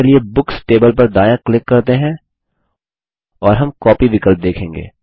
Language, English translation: Hindi, Here let us right click on the Books table, And we will see the copy option